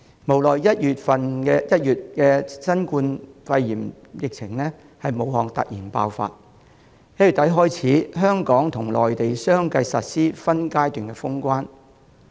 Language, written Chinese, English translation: Cantonese, 無奈新冠肺炎疫情於1月在武漢突然爆發，自1月底起，香港和內地相繼實施分階段封關。, Regrettably the novel coronavirus epidemic suddenly broke out in Wuhan in January . Since late January Hong Kong and the Mainland have successively implemented border closure in phases